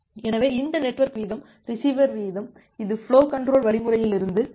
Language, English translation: Tamil, So, this network rate, receiver rate it comes from the flow control algorithm